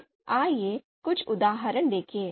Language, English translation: Hindi, So let’s see a few examples